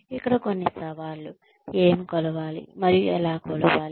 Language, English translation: Telugu, Some challenges here are, what to measure and how to measure